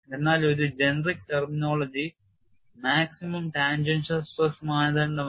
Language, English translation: Malayalam, But a generic terminology is maximum tangential stress criterion